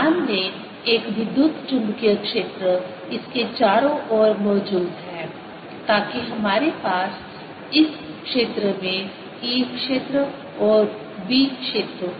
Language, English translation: Hindi, let an electromagnetic field exist around it so that we have e field and b field in this region